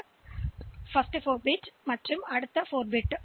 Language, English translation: Tamil, So, first 4 bit and the next 4 bit